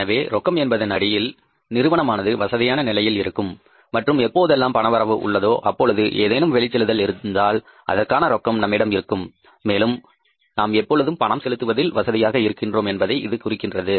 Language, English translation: Tamil, So, that firm is always in a comfortable position with regard to its cash and whenever there is any inflow that is available and if there is any outflow we have the cash for that and we are always comfortable in making the payments